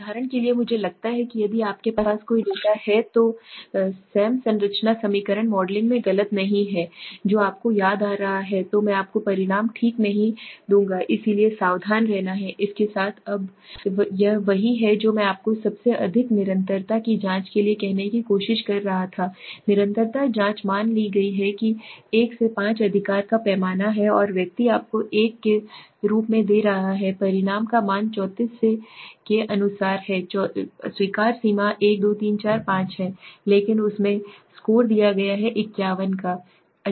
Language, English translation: Hindi, For example I think if am not wrong in SEM structure equation modeling if you have any data which is you know missing then I would not give you the results okay so one is to be careful with this now this is what I was trying to say to you the most consistency checks now consistency checks are suppose there is a scale of 1 to 5 right and person is giving you as a result a value of let say 34 he puts in 34 the allowable limit is 1 2 3 4 5 but he has given the score of let say 51